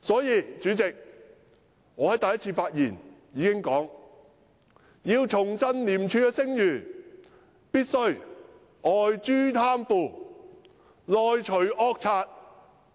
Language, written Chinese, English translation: Cantonese, 因此，主席，我在第一次發言時便曾指出，要重振廉署的聲譽，便必須外誅貪腐，內除惡賊。, Therefore Chairman I pointed out in my first speech that to rebuild ICACs reputation of ICAC we must eliminate graft externally and wipe out the villain internally in the meantime